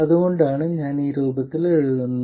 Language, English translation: Malayalam, There is a reason I write it in this form